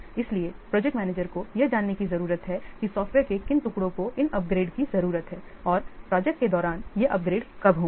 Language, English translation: Hindi, So the project manager, he needs to know which pieces of software need these upgrades and when these upgrades will occur during the project